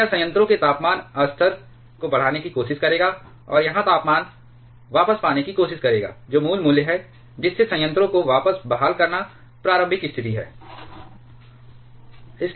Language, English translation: Hindi, So, that will try to increase the temperature level of the reactor, and here the temperature will try to get back to it is original value thereby restoring the reactor back to it is initial position